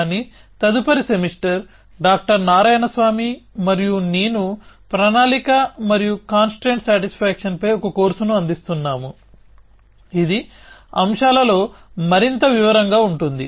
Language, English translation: Telugu, But next semester, Dr Narayan swami and I offering a course on planning and constraint satisfaction, which will go into much more detail in the topics